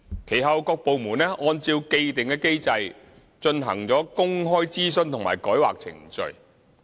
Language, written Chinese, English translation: Cantonese, 其後，各部門按照既定機制進行公開諮詢及改劃程序。, After that various departments conducted public consultations and rezoning procedures in accordance with the established mechanism